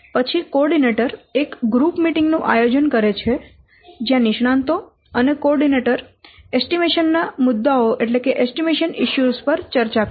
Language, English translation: Gujarati, Then coordinator calls a group meeting in which the experts they discuss the estimation issues with the coordinator and each other